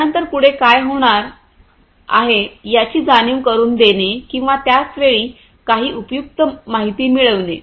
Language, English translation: Marathi, Then you know making others aware of what is going to happen next or deriving some useful information at the same time out of this analysis